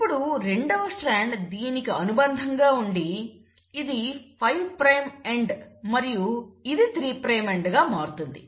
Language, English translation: Telugu, And then you have a second strand which is complementary to it, where this becomes the 5 prime end and this becomes the 3 prime end